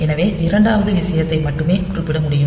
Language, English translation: Tamil, So, only the second thing can be specified